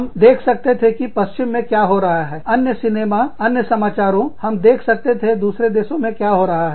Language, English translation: Hindi, We would see, what was happening in the west, other movies, other news, we would see, what was happening, in other countries